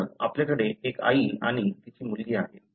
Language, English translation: Marathi, So, you have a mother and her daughter